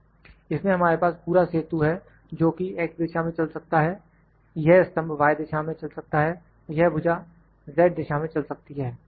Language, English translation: Hindi, In this we have X direction this whole bridge, whole bridge can move in X direction this whole bridge, can move in X direction this column can move in Y direction and this arm can move in Z direction